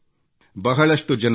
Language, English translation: Kannada, Years ago, Dr